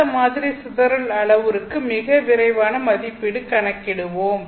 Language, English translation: Tamil, Let us try and get a very quick estimate for this model dispersion parameter